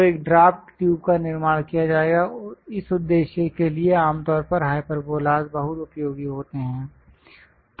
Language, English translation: Hindi, So, a draft tube will be constructed, for that purpose, usually, hyperbolas are very useful